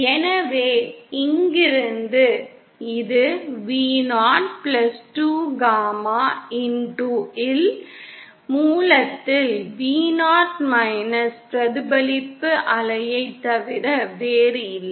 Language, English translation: Tamil, So from here we get this is nothing but Vo the reflected wave at the source upon Vo+2gama x